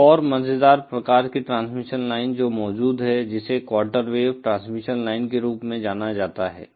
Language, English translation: Hindi, Another interesting type of transmission line that exists is what is known as the quarter wave transmission line